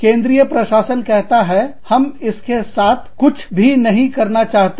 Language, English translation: Hindi, The central administration says, we do not want to have anything, to do with it